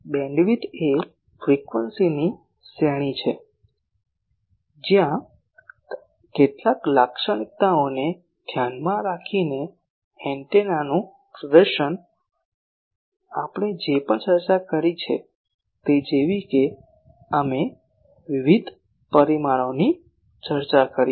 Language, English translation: Gujarati, Bandwidth is range of frequencies within which the performance of the antenna with respect to some characteristic, like whatever we discussed that we have discussed various parameters